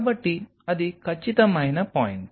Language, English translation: Telugu, So, that is precisely is the point